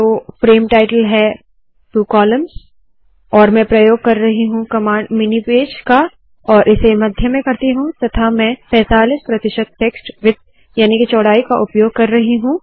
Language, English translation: Hindi, Frame title, two columns, and Im using the command mini page, and Im centering it and Im using 45 percent of the text width